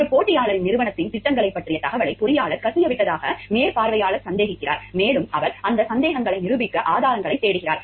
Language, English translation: Tamil, The supervisor suspects the engineer of having leaked information about the company plans to a competitor and he is searching for evidence to prove those suspicions